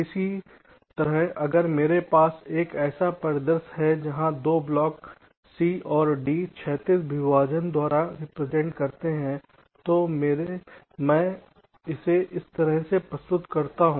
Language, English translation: Hindi, similarly, if i have a scenario where two blocks, say c and d, represent by horizontal partitions, i represent it as this